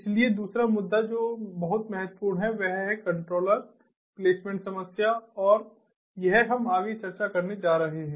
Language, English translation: Hindi, so the other issue that is very important is the controller placement problem and this is what we are going to discuss next